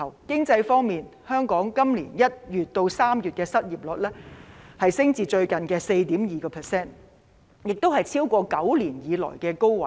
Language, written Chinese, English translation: Cantonese, 經濟方面，香港今年1月至3月的失業率上升至最近的 4.2%， 打破9年來的紀錄。, In the economic aspect the local unemployment rate from January to March this year has increased to 4.2 % which is the highest in the past 9 years